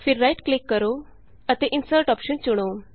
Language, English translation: Punjabi, Then right click and choose the Insert option